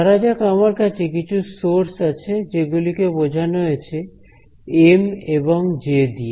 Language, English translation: Bengali, So, let us say we have some sources, and these sources are given by M and J really simple